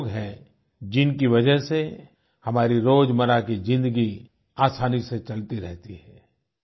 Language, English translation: Hindi, These are people due to whom our daily life runs smoothly